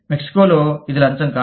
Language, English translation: Telugu, Mexico, it is not bribery